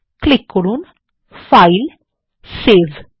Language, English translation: Bengali, Click on FilegtSave